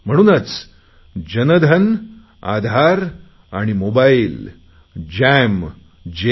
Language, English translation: Marathi, So Jan Dhan, Aadhar and Mobile Jam J